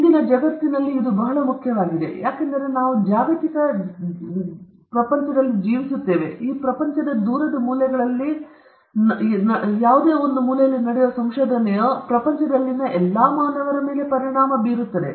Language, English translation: Kannada, And this is very important in todayÕs world, because we are living in a globalized world, and a research which takes place in one of the distant corners of this globe will have implications to all human beings in this world